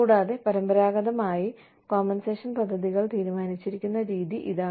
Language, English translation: Malayalam, And, this is the way, traditionally, compensation plans have been decided